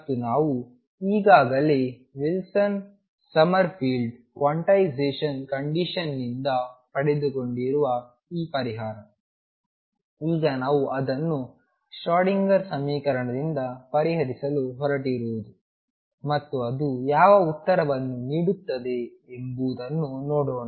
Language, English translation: Kannada, And this solution we have already obtain earlier from Wilson Summerfield quantization condition now we are going to solve it is Schrödinger equation and see what answer it gives